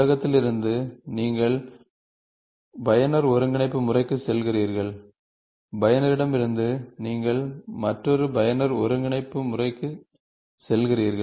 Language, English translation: Tamil, From the world, you go to user coordinate system, from user you go to another user coordinate system